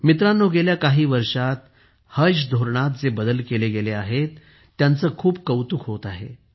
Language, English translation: Marathi, Friends, the changes that have been made in the Haj Policy in the last few years are being highly appreciated